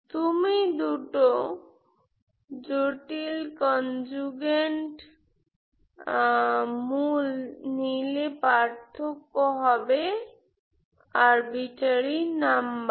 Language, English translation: Bengali, Two complex conjugate roots you take the difference it will be imaginary numbers